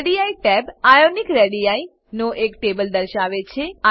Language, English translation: Gujarati, Radii tab shows a table of Ionic radii